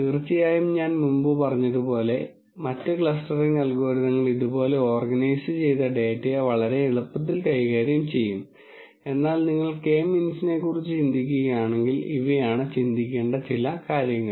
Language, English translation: Malayalam, Of course, as I said before there are other clustering algorithms which will quite easily handle data that is organized like this but if you were thinking about K means then these are some of the things to think about